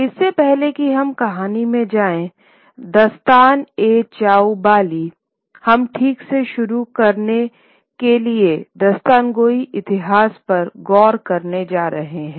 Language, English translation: Hindi, So before we go into the story that is Dastana Chobali we are going to look at the history of Dastan Gaui to begin with